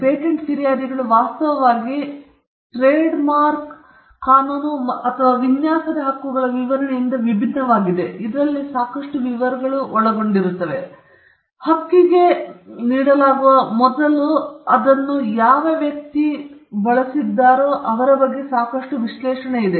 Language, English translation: Kannada, Patent prosecution actually is different from a trademark prosecution or a design right prosecution in the sense that there is quite a lot of details involved, there is a quite a lot of analysis of what the person says which goes into it before the right is granted